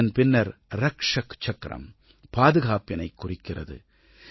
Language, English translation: Tamil, Following that is the Rakshak Chakra which depicts the spirit of security